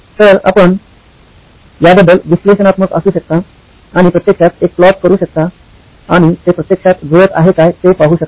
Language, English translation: Marathi, So you can be analytical about this and actually do a plot and see if it actually matches up